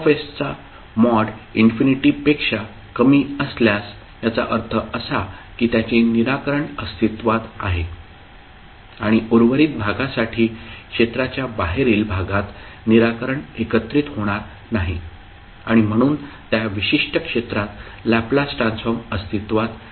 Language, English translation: Marathi, That mod of Fs if it is less than infinity it means that the solution exists and for rest of the section the outside the region the solution will not converge and therefore the Laplace transform will not exist in that particular region